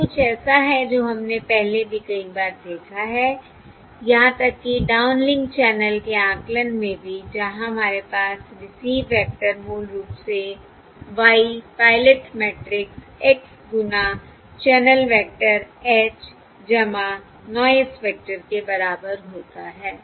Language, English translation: Hindi, This is something what we have seen many times before, even in the downlink channel estimation, where we have the receive vector, basically y equals pilot matrix, x times the channel vector h plus the noise vector